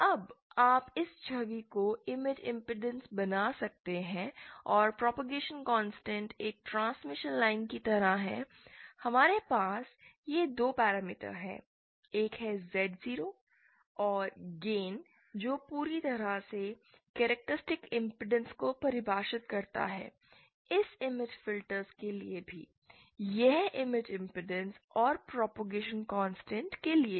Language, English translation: Hindi, Now you can image this image impedance and the propagation constants are just like in a transmission line, we have these two parameters, one is Z0 and gain which completely define the characteristic impedance, for this image filter also, this image impedance and this propagation constant